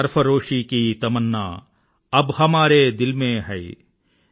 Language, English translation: Telugu, Sarfaroshi ki tamanna ab hamare dil mein hai